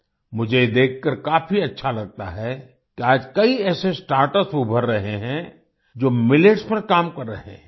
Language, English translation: Hindi, It feels good to see that many such startups are emerging today, which are working on Millets